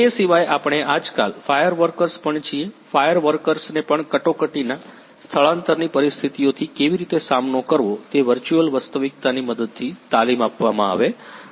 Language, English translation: Gujarati, Apart from that we are nowadays fire workers are also; fire fighters are also trained with the help of virtual reality how to tackle with the emergency evacuation situations